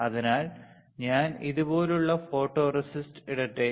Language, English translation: Malayalam, So, let me put photoresist like this